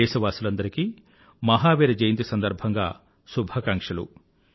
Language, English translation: Telugu, I extend felicitations to all on the occasion of Mahavir Jayanti